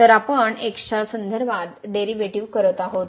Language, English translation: Marathi, So, we are taking here derivative with respect to